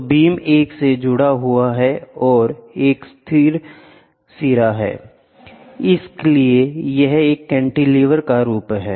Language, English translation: Hindi, So, the beam is attached to a, this is a fixed end, this is the cantilever, ok